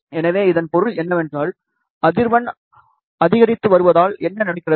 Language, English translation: Tamil, So, what happens, as frequency increases